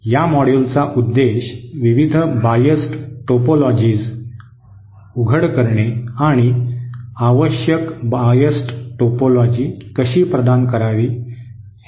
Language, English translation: Marathi, The purpose of this module is to expose the various biased topologies and how to provide the required biased also